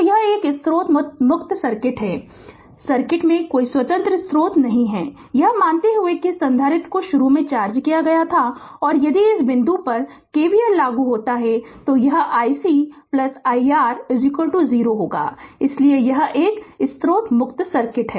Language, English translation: Hindi, So, its a source free circuit there is no independent source in the circuit, assuming that this capacitor was initially charged and if you apply KVL at this point it will be i C plus i R is equal to 0 right so, this is a source free circuit